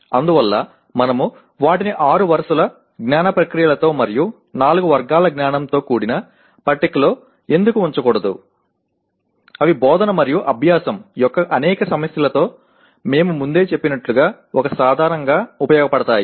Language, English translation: Telugu, So why not we put them together in a table with six rows of cognitive processes and four categories of knowledge that can serve as a tool with as we said earlier with several issues of teaching and learning